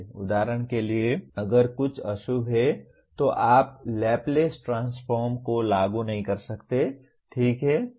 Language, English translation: Hindi, For example if something is nonlinear you cannot apply Laplace transform, okay